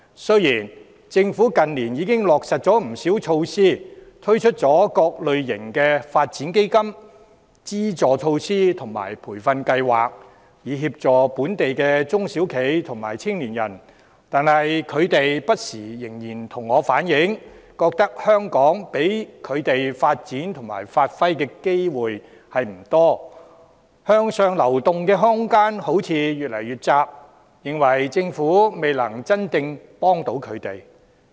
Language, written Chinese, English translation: Cantonese, 雖然政府近年已落實不少措施，推出各類發展基金、資助措施和培訓計劃，以協助本地的中小企和青年人，但他們仍然不時向我反映，在香港他們能發展和發揮才能的機會不多，向上流動的空間似乎越來越窄，他們認為政府未能真正提供協助。, While the Government has implemented a number of measures and introduced various development funds subsidization measures and training programmes in recent years to assist local SMEs and young people they have been relaying to me from time to time that there are not many opportunities for them to develop and give full play to their talents in Hong Kong and the room for upward mobility appears to have become increasingly restricted . In their view the Government has failed to render them genuine assistance